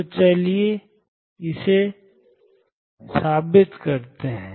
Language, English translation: Hindi, So, let us prove that